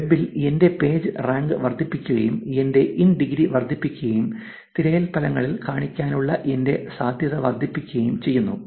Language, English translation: Malayalam, In the web increasing my Pagerank, increasing my in degree, increases my probability of showing up in the search results